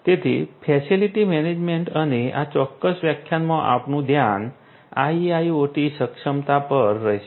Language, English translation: Gujarati, So, facility management and in this particular lecture our focus will be on IIoT enablement so, IIoT enabled facility management